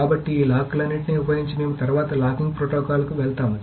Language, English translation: Telugu, So using all these locks, we will next move on to the locking protocols